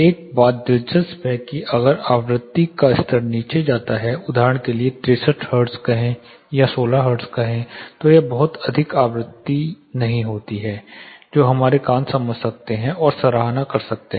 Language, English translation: Hindi, One thing interesting if the frequency levels go below, say for example 63 hertz or say 16 hertz, there are not much of the frequencies which our ear can actually sense and appreciate